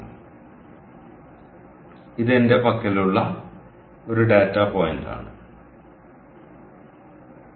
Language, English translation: Malayalam, ok, so this is one data point i have all right